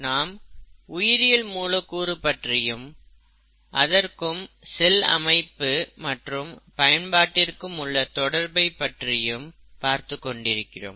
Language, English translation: Tamil, We are discussing biomolecules and their relationship to cell structure and function